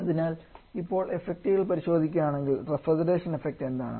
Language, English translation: Malayalam, So if you check the effects now, what about the refrigeration effect